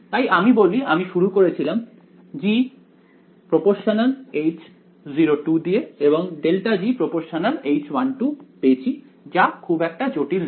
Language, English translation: Bengali, So, not I mean we started with g which was H 0 2 and I got grad g is H 1 2 not very complicated right ok